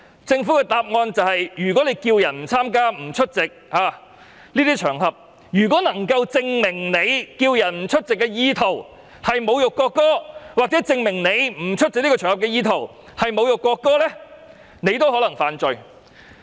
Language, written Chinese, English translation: Cantonese, 政府的答覆是，如果呼籲別人不參與、不出席這些場合，而又能夠證明他呼籲別人不出席的意圖是侮辱國歌，或證明不出席這個場合的意圖是侮辱國歌，便有可能犯罪。, According to the reply of the Government it can be an offence if a person calls on other people not to participate or attend these occasions and there is proof that the intention of calling on other people not to attend such occasions is to insult the national anthem or the intention of not attending such occasions is to insult the national anthem